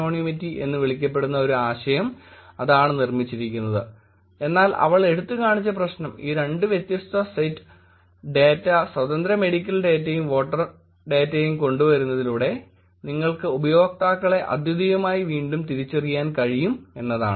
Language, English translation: Malayalam, So that is the idea that built on to create something called as k anonymity, but the problem she highlighted was that bringing these two different sets of data which is independent medical data and voter data, you could actually re identify users uniquely